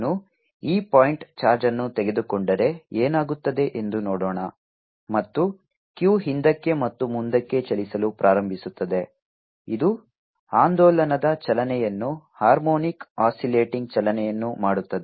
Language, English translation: Kannada, let us see now what happens if i take this point charge and start moving back and forth q, which is making a oscillating motion, harmonic oscillating motion